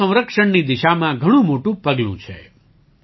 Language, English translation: Gujarati, This is a giant step towards water conservation